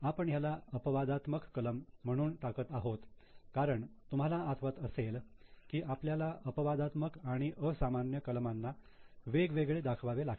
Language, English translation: Marathi, So, we are putting it as exceptional items because if you remember after the regular items we have to separately show exceptional and extraordinary items